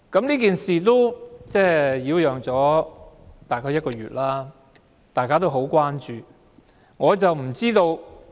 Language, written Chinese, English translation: Cantonese, 這件事已擾攘大約1個月，大家也十分關注。, The repercussions of this matter have lasted one month . Everyone is very concerned